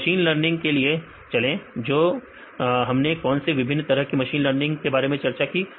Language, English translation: Hindi, Then go with the machine learning; what are different types of machine learning we discussed